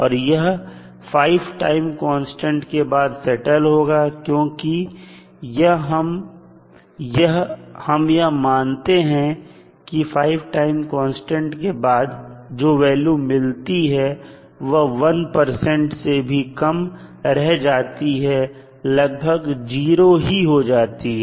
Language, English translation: Hindi, So, this will settle down after generally it settles down after 5 time constants because we assume that at 5 time constants the value what we get is less than 1 percent means it is almost settling to a 0 value